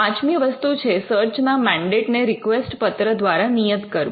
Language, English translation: Gujarati, The fifth thing is to stipulate the mandate of the search through a request letter